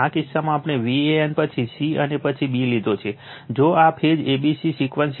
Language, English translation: Gujarati, In this case in this case, we have taken say V a n, then c, and then b, if this is phase a c b sequence